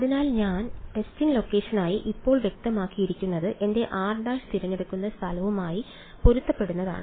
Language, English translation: Malayalam, So, this having being specified now for the testing location I have to testing location is corresponding to where I choose my r prime